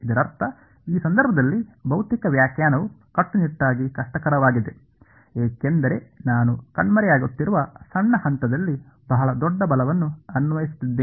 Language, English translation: Kannada, This is I mean physical interpretation is strictly difficult in this case because I am applying a very very large force at a vanishingly small point ok